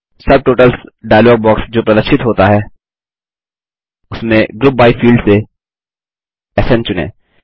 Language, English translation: Hindi, In the Subtotals dialog box that appears, from the Group by field, let us select SN